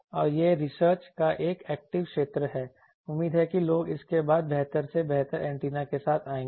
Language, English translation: Hindi, And this is an active area of research hopefully people will come up with better and better antennas after this